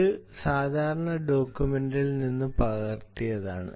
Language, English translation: Malayalam, well, i copied this from the standard document